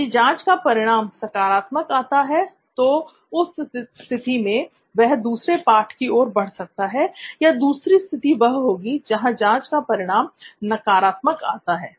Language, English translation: Hindi, Then if the test comes out positive then it is a situation for him where he can move on to a next chapter or in another situation where the test is negative